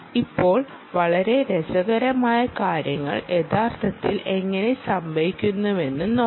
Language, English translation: Malayalam, now let us see how very interesting things can actually happen